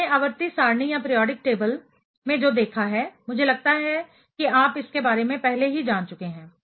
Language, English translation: Hindi, So, what we have seen in the periodic table, I think you have already learned about it